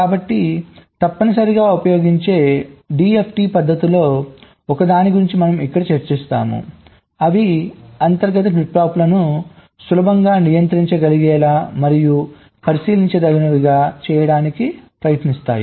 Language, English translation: Telugu, so essentially the d f t techniques which are used so one of them we will be discussing here they try to make the internal flip flops easily controllable and observable